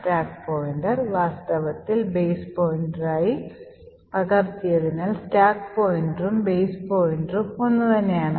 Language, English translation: Malayalam, The stack pointer is in fact copied to be base pointer and therefore the stack pointer and the base pointer are the same